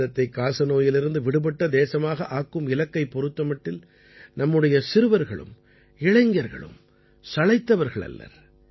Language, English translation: Tamil, Our children and young friends are also not far behind in the campaign to make India TB free